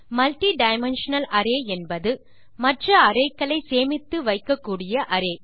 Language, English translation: Tamil, A multidimensional array is an array in which you can store other arrays